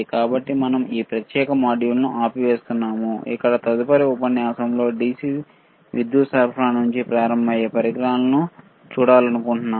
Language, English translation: Telugu, So, we will stop the this particular module, right; Over here because in next set of modules, we want to see the equipment starting from the DC power supply